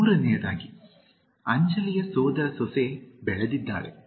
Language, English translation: Kannada, Third, Anjali’s niece has grown up